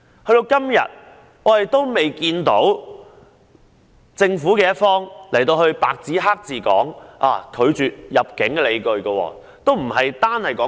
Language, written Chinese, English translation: Cantonese, 時至今日，政府仍未有白紙黑字說明拒絕入境的理據。, The Government has so far failed to explain in black and white the reasons for denying Victor MALLETs entry